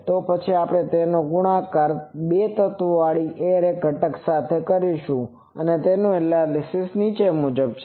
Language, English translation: Gujarati, Then we will simply multiply that with the array factor for these two elements, so that is the analysis